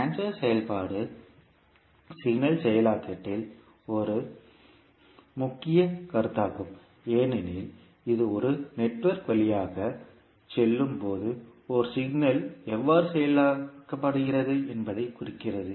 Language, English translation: Tamil, Transfer function is a key concept in signal processing because it indicates how a signal is processed as it passes through a network